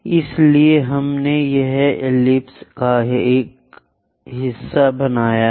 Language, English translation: Hindi, So, we have constructed part of the ellipse here